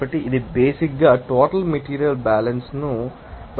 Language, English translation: Telugu, So, this is basically depending on that material balance overall